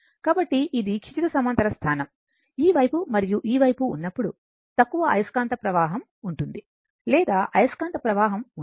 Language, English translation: Telugu, So, when it is a horizontal position, this side and this side, there will be low flux or it will not leak the flux